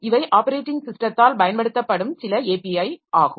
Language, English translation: Tamil, So these are some of the APIs that are very common that are used by the operating systems